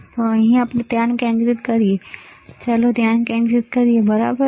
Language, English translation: Gujarati, So, so let us focus here, let us focus here, all right